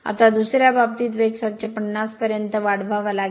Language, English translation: Marathi, Now, in the second case, we have to raise the speed to 750 rpm